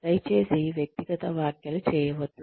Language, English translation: Telugu, Please do not make personal comments